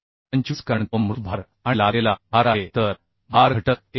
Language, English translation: Marathi, 35 because it is dead load and imposed load so load factor will be 1